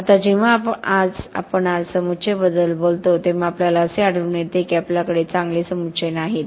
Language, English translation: Marathi, Now when we talk about aggregates today, we are finding that we are not having good aggregates